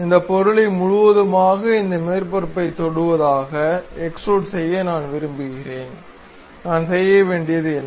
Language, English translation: Tamil, So, I would like to have a extrude of this object entirely touching this surface; to do that what I have to do